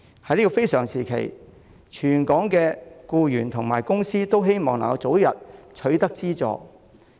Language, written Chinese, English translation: Cantonese, 在這個非常時期，全港僱員和公司均希望能夠早日取得資助。, Under the current exceptional circumstances it is the collective wish of employees and companies across the territory to obtain the funding early